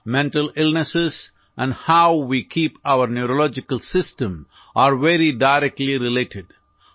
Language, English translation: Odia, Mental illnesses and how we keep our neurological system are very directly related